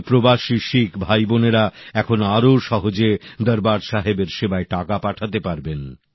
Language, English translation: Bengali, It has now become easier for our Sikh brothers and sisters abroad to send contributions in the service of Darbaar Sahib